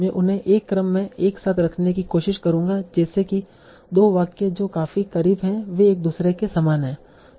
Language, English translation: Hindi, So we'll say, okay, I will try to put them together in an order such that the two sentences that are close enough are similar to each other